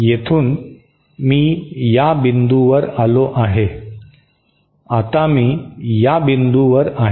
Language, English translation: Marathi, So, from here I have come to this point, now I am going to this point